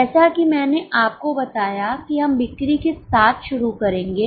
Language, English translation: Hindi, As I told you, we will be starting with the sales